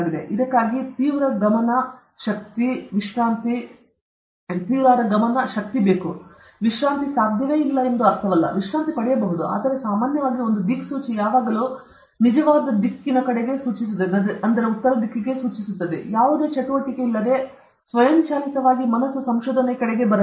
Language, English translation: Kannada, It requires intense focus, energy; it doesn’t mean that you cannot relax, you can relax, but generally just like a compass will always point towards true north, whenever there is no activity automatically the mind should come towards research